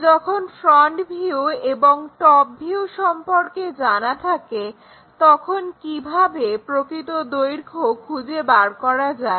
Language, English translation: Bengali, Let us ask a question, when front view and top view are not how to find true length